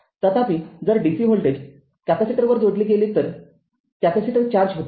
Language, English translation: Marathi, Suppose, you connect a dc voltage across a capacitor, capacitor will be getting charged right